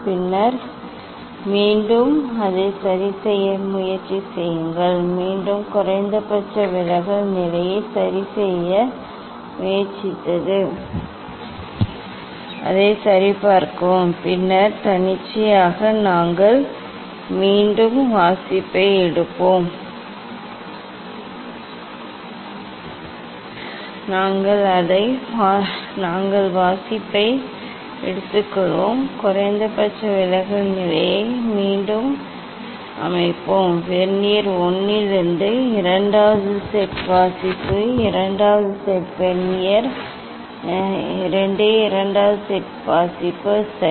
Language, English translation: Tamil, Then again try to adjust it, again you try to adjust it minimum deviation position and check it and then arbitrary we will again take the reading; we will take the reading, Set again the minimum deviation position take the reading, second set of reading from vernier 1, second set of reading vernier 2, second set of reading, ok